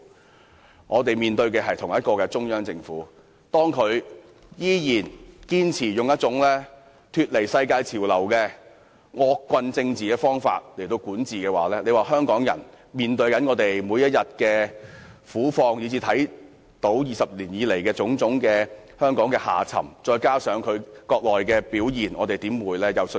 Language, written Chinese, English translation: Cantonese, 當我們看到中央政府依然堅持以一種脫離世界潮流的惡棍政治方法來管治國家；看到香港人每天面對的苦況；看到20年來香港的種種沉淪；以至看到內地官員的表現，我們怎會有信心？, When we see the Central Government insist on ruling the country by some sort of abominable political means divorced from global trends; when we see the hardships facing Hong Kong people every day; when we see the various aspects of the decay of Hong Kong over the past 20 years and when we see the performance of Mainland officials how can we have confidence?